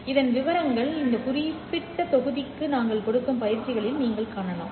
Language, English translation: Tamil, The details of this you can see in the exercises that we give out for this particular module